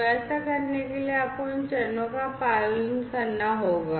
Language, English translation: Hindi, So, for doing that you have to follow these steps, right